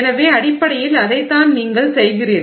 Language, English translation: Tamil, So, that is basically what you are doing